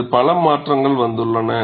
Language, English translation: Tamil, Many modifications have come on this